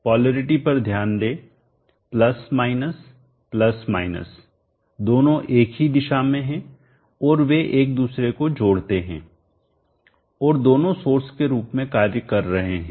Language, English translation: Hindi, Notice the polarity + , + both are the same direction and they aid each other and both are acting as sources